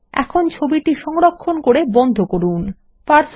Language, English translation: Bengali, Now, lets save and close the image